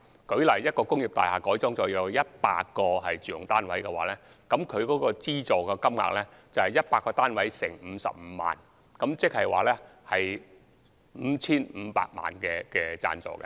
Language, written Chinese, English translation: Cantonese, 舉例來說，如果一幢工廈改建後有100個住用單位，其資助金額便等於100個單位乘以55萬元，即 5,500 萬元的資助。, For instance if upon wholesale conversion an industrial building is divided into 100 residential flats the funding ceiling is 100 flats multiplied by 550,000 which is 55 million